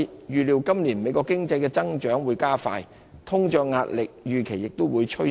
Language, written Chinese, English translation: Cantonese, 預料美國今年的經濟增長會加快，通脹壓力預期也會趨升。, The pace of economic growth of the United States is expected to pick up this year and inflationary pressure is likely to intensify